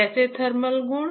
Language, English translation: Hindi, How thermal properties